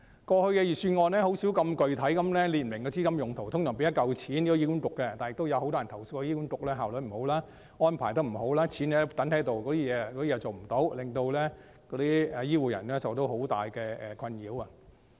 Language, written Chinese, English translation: Cantonese, 過去的預算案甚少這麼具體地列明資金用途，通常是撥出一筆款項予醫院管理局，但也有很多人投訴醫管局效率不高，安排不周，只將錢存放着，甚麼也沒有做，令醫護人員受到很大困擾。, It was uncommon in the past for the Budget to set out the purposes of funding allocations in such details . Usually a lump sum is allocated to the Hospital Authority HA but complaints abound about HAs inefficiency and poor arrangements as it only stashes away the money and sits on it resulting in great distress to health care workers